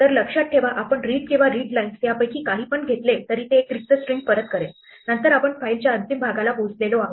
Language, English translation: Marathi, So, remember we said that if read or readlines returns the empty string then we have reached the end of the file